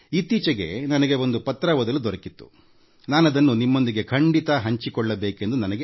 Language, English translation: Kannada, Recently, I had the opportunity to read a letter, which I feel, I should share with you